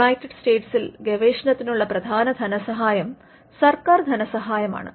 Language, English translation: Malayalam, Now, in the United States the major funding happens through government funded research